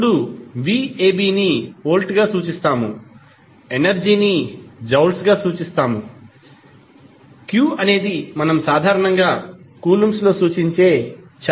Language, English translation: Telugu, Now, v ab we simply say as volt energy, we simply give in the form of joules and q is the charge which we generally represent in the form of coulombs